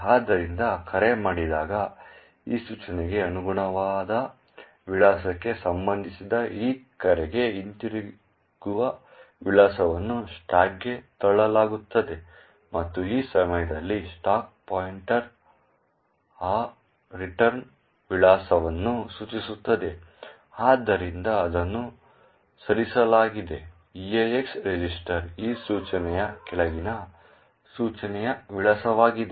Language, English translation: Kannada, So, note that when a call is done the return address for this call that is corresponding to the address corresponding to this instruction is pushed onto the stack and at that time the stack pointer is pointing to that return address, therefore what is moved into the EAX register is the address of the following instruction that is this instruction